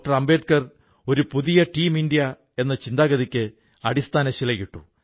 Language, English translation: Malayalam, Ambedkar had laid the foundation of Team India's spirit in a way